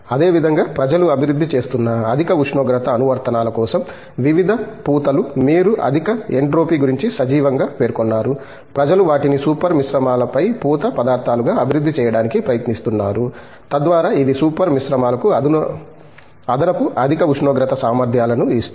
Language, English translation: Telugu, Similarly, various coatings for high temperature applications people are developing, you just mentioned about high entropy alive, people are trying to develop them as coating materials on super alloys, so that it gives additional high temperature capabilities for super alloys